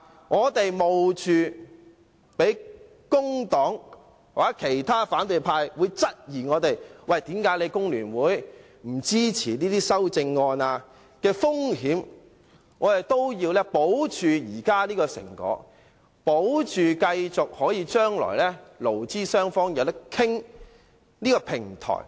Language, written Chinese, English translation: Cantonese, 我們冒被工黨或其他反對派質疑工聯會不支持這些修正案的風險，也要保持現在這個成果，保持勞資雙方將來可以繼續商討的平台。, Despite having to bear the risk of being questioned by the Labour Party and other opposition political parties for not supporting the amendments FTU still strives to maintain the negotiation results as well as the platform for future negotiation between employers and employees